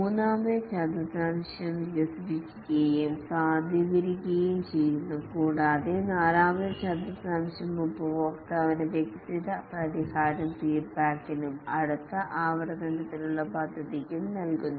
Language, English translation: Malayalam, The third quadrant is developed and validate and the fourth quadrant is give the developed solution to the customer for feedback and plan for the next iteration